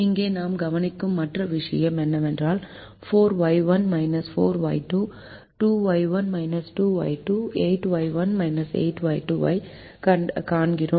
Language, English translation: Tamil, the other thing that we observe here is we see four y one minus four y two, two y one minus two, y two, eight y one minus eight y two